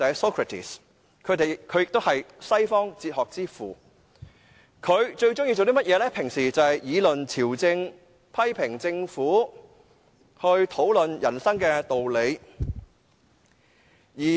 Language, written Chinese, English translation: Cantonese, 他也是西方哲學之父，平日最喜歡議論朝政、批評政府及討論人生的道理。, He was the founder of Western philosophy and loved to debate politics criticize the government and discuss thoughts of life